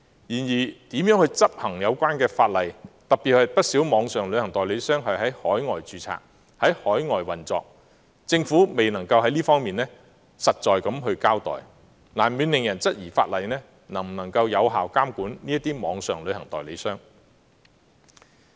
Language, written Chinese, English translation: Cantonese, 然而，至於如何執行有關法例，特別是不少網上旅行代理商是在海外註冊及在海外運作，政府至今仍未能作出實在的交代，難免令人質疑法例能否有效監管這些網上旅行代理商。, Nevertheless regarding how the laws should be enforced and particularly the problem that a significant number of online travel agents are registered and operating overseas the Government has still not given any factual account . This inevitably creates doubts whether the legislation to be enacted can effectively regulate these online travel agents